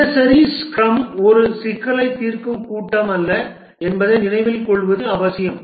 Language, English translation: Tamil, It is important to remember that the daily scrum is not a problem solving meeting